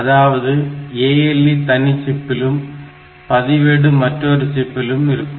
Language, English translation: Tamil, So, ALU is a separate chip register each register maybe a separate chip like that